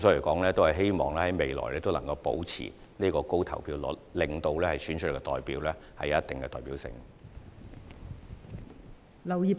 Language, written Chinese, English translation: Cantonese, 我們希望未來依然能夠保持這高投票率，令所選出的代表具有一定的代表性。, We hope that the voter turnout rate will remain high in the future so as to ensure the representativeness of the elected candidates